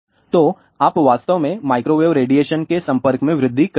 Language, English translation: Hindi, So, you have actually speaking increase your exposure to the microwave radiation